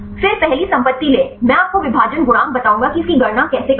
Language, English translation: Hindi, Then take the first property; I will tell you the partition coefficient how to calculate this